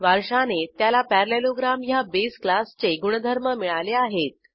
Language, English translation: Marathi, It inherits the properties of base class parallelogram